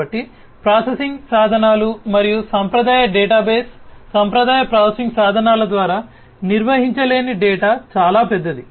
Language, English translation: Telugu, So, data which is too big to be handled by processing tools and conventional databases, conventional processing tools, and conventional databases